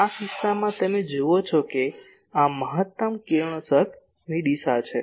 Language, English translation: Gujarati, In this case you see this is the maximum radiation direction